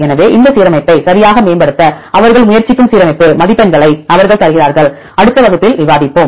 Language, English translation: Tamil, So, they give the alignment scores they try to optimize this alignment right, we will discuss in the in next class